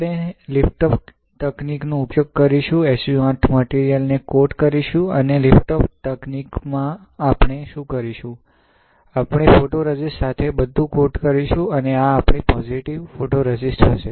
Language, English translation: Gujarati, So, we will use the liftoff technique, coat the SU 8 material; and in liftoff technique what we will do, we will coat everything with photoresist and this will be our positive photoresist ok